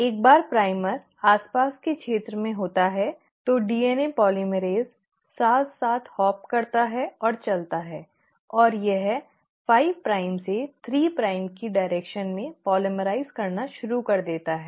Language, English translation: Hindi, Once the primer is there in vicinity the DNA polymerase hops along and moves, and it started to polymerise in the direction of 5 prime to 3 prime